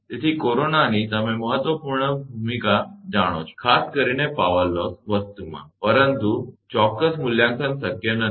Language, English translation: Gujarati, So, corona place an you know important significant role, particular in power loss thing, but exact evaluation is not possible